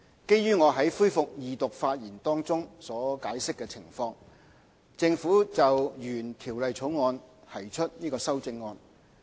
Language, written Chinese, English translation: Cantonese, 基於我在恢復二讀發言中所解釋的情況，政府就原《條例草案》提出修正案。, Owing to conditions explained in the speech I delivered at the resumption of Second Reading the Government proposes amendments to the original Bill